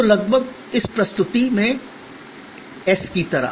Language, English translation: Hindi, So, almost like an S in this presentation